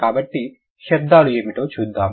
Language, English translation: Telugu, So, let's see what are the sounds